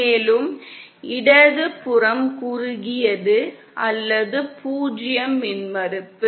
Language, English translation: Tamil, And the left hand side is short or 0 impedance